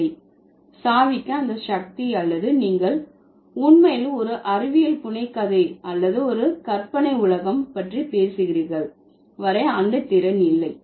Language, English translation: Tamil, No, key doesn't have that power or that ability unless you are actually talking about a science fiction or some fictional world